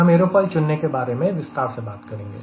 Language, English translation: Hindi, ok, so we will be talking about aerofoil selections also in detail